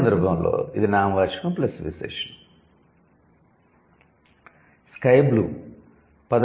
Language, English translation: Telugu, In this case it is noun plus adjective, sky blue